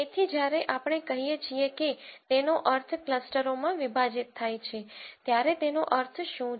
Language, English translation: Gujarati, So, what does it mean when we say we partition it into K clusters